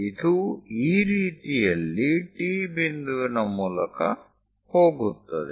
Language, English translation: Kannada, It goes via T point in this way; pass via T point in that way